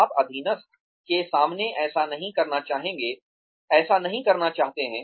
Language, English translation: Hindi, You may not, want to do that, in front of a subordinate